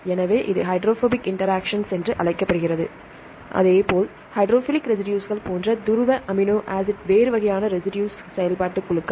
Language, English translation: Tamil, So, this is called hydrophobic interaction; likewise the polar amino acid residues like the hydrophilic residues, they are the different types of residue functional groups such as acids or amides or alcohols and amines